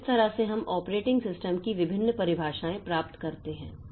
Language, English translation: Hindi, So, this way we can get different definitions of operating systems